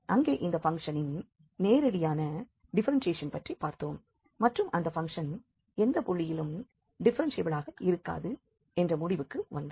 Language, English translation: Tamil, So, we do not have to check even differentiability at any point we can simply conclude that the function is not differentiable at any point